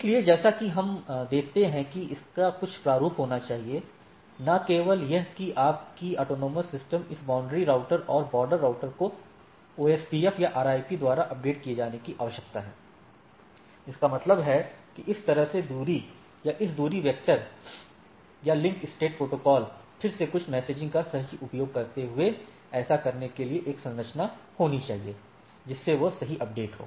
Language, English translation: Hindi, So, as we see that that has there should be some format, not only that this your autonomous system this boundary routers and border routers, need to be updated by the OSPF or RIP, that means, distance either this way or this your distance vector or link state protocol again using some messaging right there should be a structure to do that by which it updates right